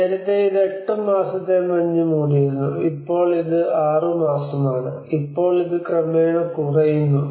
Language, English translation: Malayalam, So earlier it was 8 months snow cover, now it is six months, now it is gradually reducing